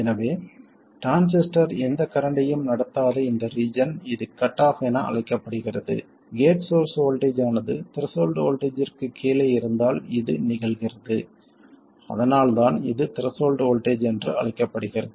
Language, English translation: Tamil, So this region where the transistor is not conducting any current this is known as cutoff and this happens if the gate source voltage is below the threshold voltage that's why it's called the threshold